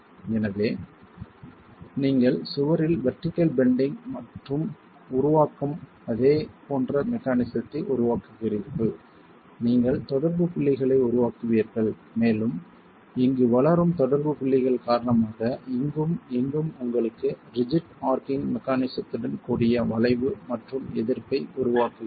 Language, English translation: Tamil, So you have a vertical bending in the wall and a similar mechanism that generates, you will have the contact points developing and because of the contact points developing here, here and here you have the arch that forms and resistance with rigid arching mechanism available for you